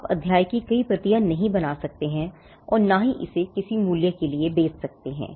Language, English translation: Hindi, You cannot make multiple copies of the chapter and sell it for a price